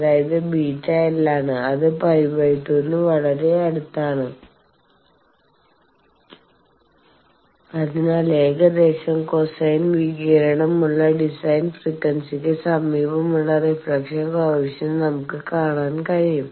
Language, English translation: Malayalam, So, thing is theta which is beta into L that also is quite near to pi by 2 and so, we can see that reflection coefficient near the design frequency that has a roughly cosine radiation